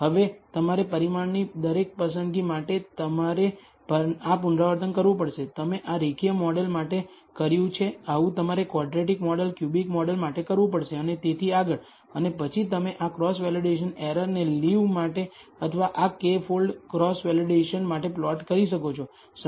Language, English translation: Gujarati, Now, you can you have to repeat this for every choice of the parameter, you have done this for the linear model you have to do this for the quadratic model cubic model and so on, so forth and then you can plot this cross validation error for leave or for this k fold cross validation